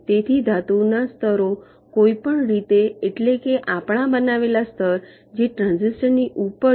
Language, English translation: Gujarati, so the metal layers are anyway, means, ah, they are created on our layer which is above the transistors